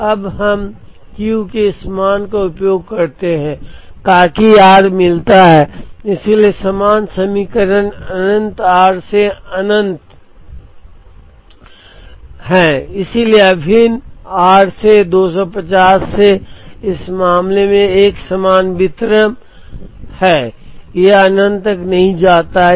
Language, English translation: Hindi, We now, use this value of Q in order to get r so the corresponding equation is integral r to infinity so integral r to 250 in this case it is a uniform distribution; it does not go up to infinity